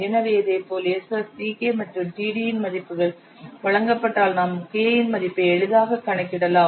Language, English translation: Tamil, So similarly if the values of s s c k and t are given you can easily estimate the value of k and if the values of S